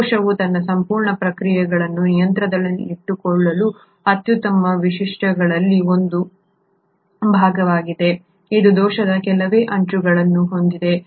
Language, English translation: Kannada, These are one of the best features wherein a cell keeps in control its entire processes which has very few margins of error